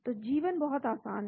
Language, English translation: Hindi, So life is very simple